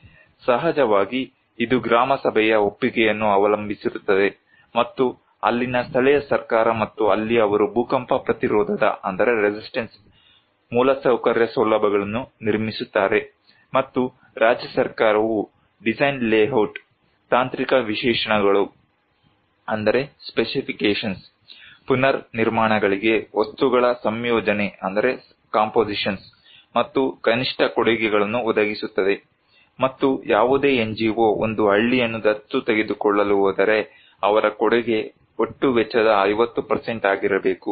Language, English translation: Kannada, Of course, it depends on the consent of Gram Sabha, the local government there and there they will build earthquake resistance infrastructure facilities, and the state government will provide layout design, technical specifications, compositions of material ingredients for the reconstructions, and the minimum contributions, if any NGO is going to adopt a village, their contribution should be 50% of the total cost